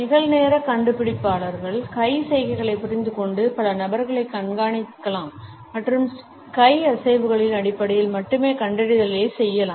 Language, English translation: Tamil, Real time detectors can understand hand gestures and track multiple people and make detections on the basis of the hand movements only